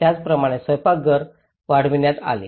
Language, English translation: Marathi, Similarly, the kitchens were extended